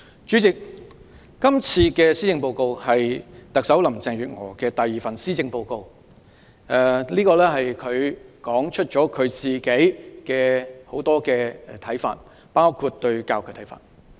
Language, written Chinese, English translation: Cantonese, 主席，今次的施政報告是特首林鄭月娥的第二份施政報告，當中提出了很多她的看法，包括她對教育的看法。, President this is the second Policy Address delivered by Chief Executive Carrie LAM . She put forth many of her views in it including her view on education